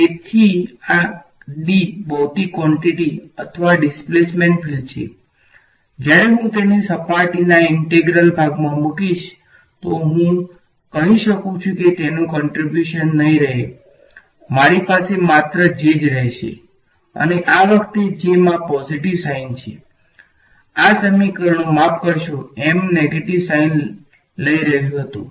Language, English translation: Gujarati, So, this guy is d is a physical quantity or displacement field when I will stick it into a surface integral I can say it is the contribution will vanish I will only be left with a J and this time J is carrying a positive sign in this equation J was carrying a sorry M was carrying a negative sign